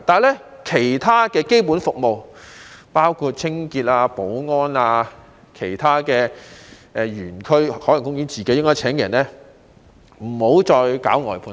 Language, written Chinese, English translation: Cantonese, 可是，其他基本服務，包括清潔和保安，應該由海洋公園自己聘請員工，不應外判。, However regarding the other basic services including cleaning and security Ocean Park should hire its own staff and should not outsource such services